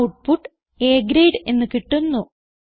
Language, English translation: Malayalam, So the output will be displayed as A Grade